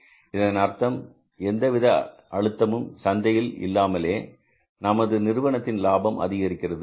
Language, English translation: Tamil, It means without any pressure in the market in terms of the price the firm's profit will increase